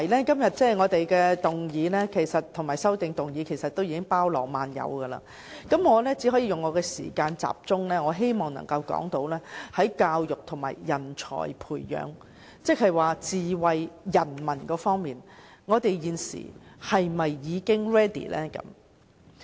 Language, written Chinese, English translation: Cantonese, 今天的議案和修正案已經包羅萬有，我希望利用我的發言時間集中談論教育和人才培養，即在智慧市民方面，我們現時是否已經 ready。, Todays motion and amendments cover a wide range of aspects . I wish to use my speaking time to focus on education and nurturing of talents ie . whether we are now ready in terms of smart people